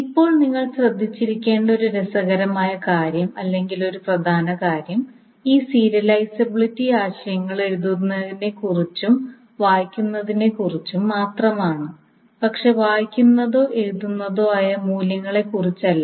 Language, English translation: Malayalam, Now, one interesting thing or one important thing that you must have noticed is that these serializability notions are just concerned about the right and read, but not the values that is being read or right